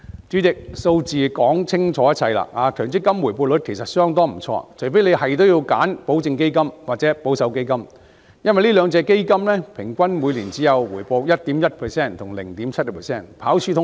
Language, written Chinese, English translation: Cantonese, 主席，數字說明一切，強積金回報率其實相當不錯，除非一定要選擇保證基金或保守基金，這兩種基金平均每年回報率只有 1.1% 和 0.7%， 跑輸通脹。, President these figures speak for themselves . The rate of return on MPF is actually quite considerable . Unless it is a must to choose a guaranteed fund or a conservative fund the rate of return on these two funds respectively underperformed inflation at only 1.1 % and 0.7 % per year on average